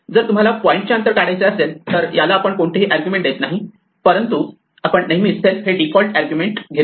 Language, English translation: Marathi, If you want the distance of a point, we do not give it any arguments, but we always have this default argument self